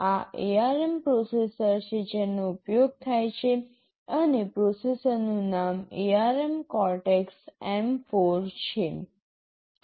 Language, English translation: Gujarati, This is the ARM processor that is used and the name of the processor is ARM Cortex M4